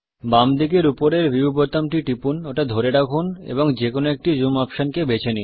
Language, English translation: Bengali, Click the View button on the top left hand side, hold and choose one of the zoom options